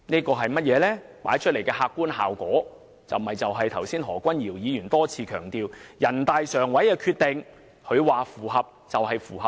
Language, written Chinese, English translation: Cantonese, 這帶出的客觀效果是，正如何君堯議員剛才多次強調，人大常委會的《決定》認為符合便是符合。, The objective effect is as Mr Junius HO has repeatedly stressed just now what is stated in the NPCSCs Decision is a fact beyond dispute